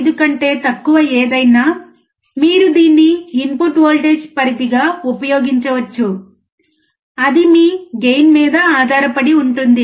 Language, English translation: Telugu, 5 only, you can use it as the input voltage range so, that depends on your gain